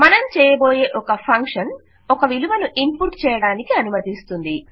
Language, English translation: Telugu, We will deal with a function that allows you to input a value